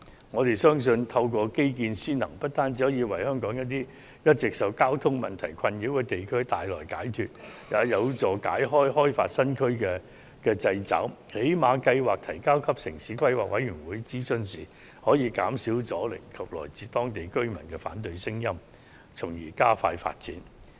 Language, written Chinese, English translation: Cantonese, 我們相信透過基建先行，不單可為香港一些一直受交通問題困擾的地區帶來解決的辦法，也有助擺脫開發新區的掣肘，最低限度在提交計劃予城市規劃委員會進行諮詢時可減少阻力和來自當區居民的反對聲音，從而加快進行發展。, We believe that according priority to transport infrastructure is the solution to the long - standing problems of traffic congestion in certain districts of Hong Kong it can also help to break the constraints on developing new areas . At the very least this can help to reduce resistance and opposition from local community when a development proposal is submitted to the Town Planning Board for consultation thereby expediting the pace of development